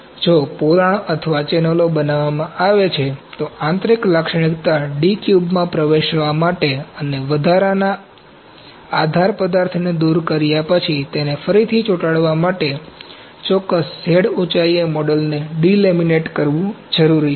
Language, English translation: Gujarati, If cavities or channels are created, it is often necessary to delaminate the model at a specific Z height, in order to gain access to de cube the internal feature and then re glue it after removing the excess support material